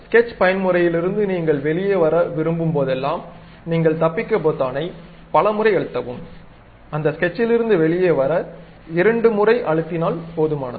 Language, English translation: Tamil, Whenever you would like to come out of that sketch the local sketch mode, you press escape several times; twice is good enough to come out of that sketch